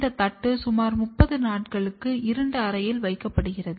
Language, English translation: Tamil, This plate is placed under dark condition for about 30 days